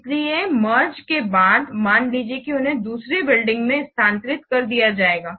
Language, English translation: Hindi, So, after merging, suppose they will be shifted to another building